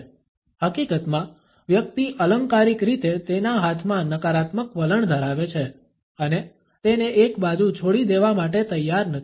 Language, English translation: Gujarati, In fact, the person is figuratively holding the negative attitude in his hands and his unwilling to leave it aside